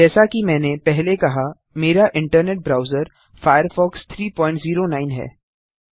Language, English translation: Hindi, As I said before, my internet browser is Firefox 3.09